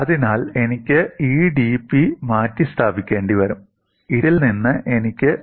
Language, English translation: Malayalam, So, I will have to replace this dP and that I get from this